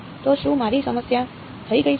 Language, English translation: Gujarati, So, is my problem done